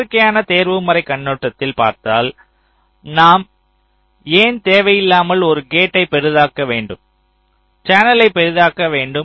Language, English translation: Tamil, now, you see, from natural optimization point of view, why should we unnecessarily make a gate larger, the channel larger